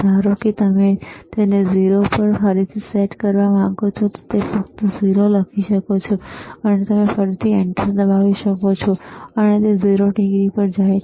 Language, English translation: Gujarati, Suppose you want to reset it back to 0, then you can just write 0, 0, and you can again press enter, and it goes to 0 degree